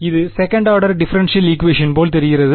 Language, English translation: Tamil, This looks like a second order differential equation right